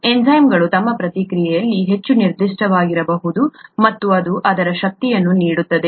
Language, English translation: Kannada, Enzymes can be highly specific in their action, and that’s what gives it its power